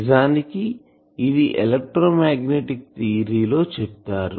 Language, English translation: Telugu, Actually it was taught in electromagnetic theory